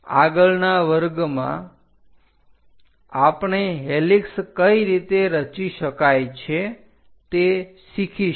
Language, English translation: Gujarati, In the next class, we will learn about helix how to construct that